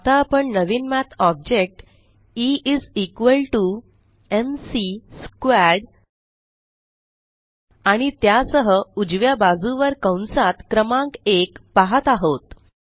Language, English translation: Marathi, We are now seeing a new Math object that says E is equal to m c squared and along with that, the number one within parentheses, on the right